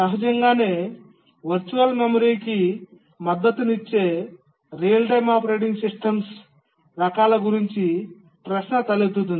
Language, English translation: Telugu, Naturally a question arises which are the types of the real time operating systems which support virtual memory